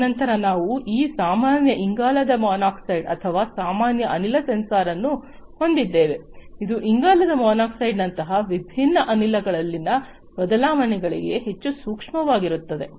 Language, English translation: Kannada, And then we have this normal, you know, carbon monoxide or you know general gas sensor, which is highly sensitive to changes in different gases such as carbon monoxide and so on